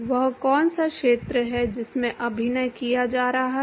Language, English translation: Hindi, What is the area at which is acting